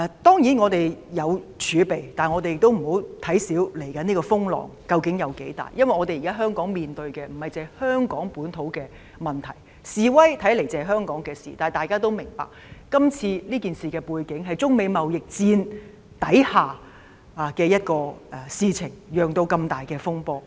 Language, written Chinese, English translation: Cantonese, 當然，我們有儲備，但也不能輕視未來的風浪究竟有多大，因為現時香港面對的不單是香港本土的問題，示威看似只是香港的事情，但大家也明白今次這事件是在中美貿易戰之下發生，然後釀成這麼大的風波。, Of course we have reserves but we cannot belittle the scale of the imminent storms because Hong Kong now faces not only local problems . The protests seem to be the business of Hong Kong only but we all understand that they occurred against the backdrop of the China - United States trade war and a furore of such an extensive scale is hence developed